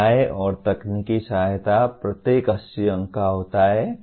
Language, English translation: Hindi, Facilities and technical support 80 marks each